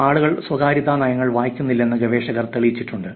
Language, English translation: Malayalam, Researchers have shown that people do not read privacy policies